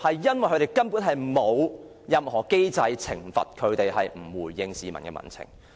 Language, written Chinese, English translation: Cantonese, 因為根本沒有任何機制可懲罰不回應民情的部門。, Because there is no mechanism to punish the departments for their lack of response to the public sentiments